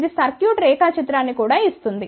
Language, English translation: Telugu, It will also give the circuit diagram